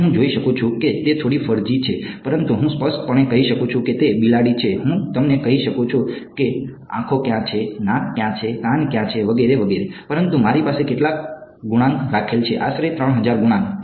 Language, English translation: Gujarati, Now, I can see that it is a little furzy, but I can clearly make out it is a cat, I can tell you where the eyes are where the nose is where the ears are and so on, but how many coefficients that I have kept right, roughly 3000 coefficients